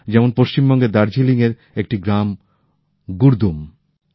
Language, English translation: Bengali, Just as a village Gurdum in Darjeeling, West Bengal